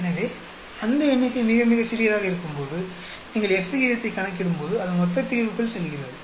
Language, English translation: Tamil, So, when that number becomes very very small that goes into the denominator when you are calculating F ratio